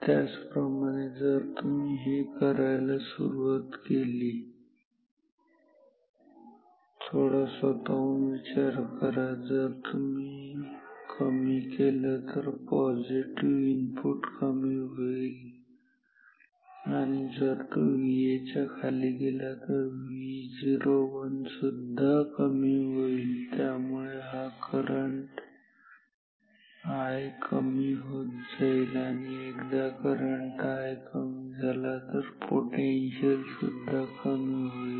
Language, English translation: Marathi, Similarly if you decrease this just think it on your own if you decrease it then this positive input is decreasing and if it goes down below V A, then V o 1 will come down if V o 1 comes down then this current i comes down, if i comes down then this potential also comes down